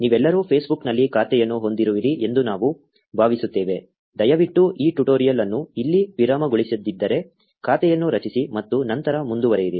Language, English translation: Kannada, We assume all of you have an account on Facebook, if you do not please pause this tutorial here, create an account and then continue